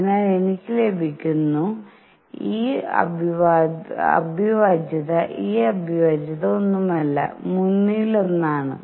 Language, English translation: Malayalam, So, I get and this integral this integral is nothing, but one third